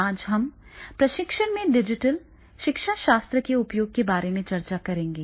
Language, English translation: Hindi, Today, we will discuss about the use of digital pedagogy in training